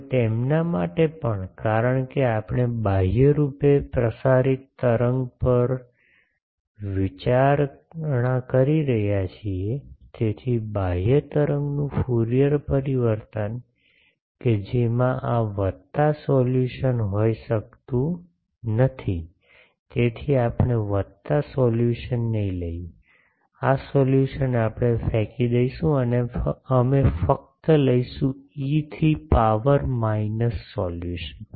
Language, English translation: Gujarati, Now for them also, since we are considering on the outwardly propagating wave, so the Fourier transform of an outward wave that cannot have this plus solution, so we will not take the plus solution, this solution we will throw away and we will take only the E to the power minus solution